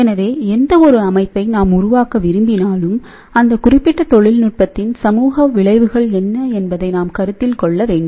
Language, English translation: Tamil, So, any system we want to develop, we must also consider; what are the social effects of this particular technology